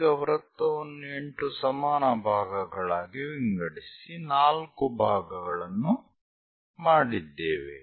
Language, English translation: Kannada, Now divide the circle into 8 equal parts 4 parts are done